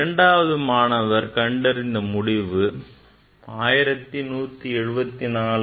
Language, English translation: Tamil, If for student 2 result will be 1174 plus minus 3